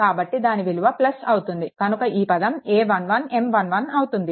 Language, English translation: Telugu, So, it will be plus, then this term a 1 1 coming then M 1 1